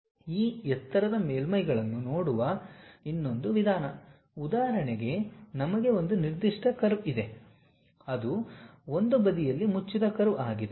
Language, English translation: Kannada, The other way of looking at this lofter surfaces for example, we have one particular curve it is a closed curve on one side